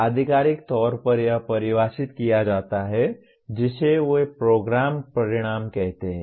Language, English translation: Hindi, Officially it is defined through what they call as Program Outcomes